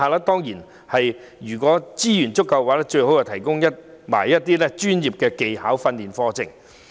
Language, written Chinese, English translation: Cantonese, 當然，如有充足資源的話，便應為他們開辦一些專業技巧訓練課程。, Of course training courses on professional skills should be organized for them subject to the availability of sufficient resources